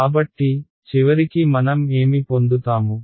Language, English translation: Telugu, So, at the very end what I will get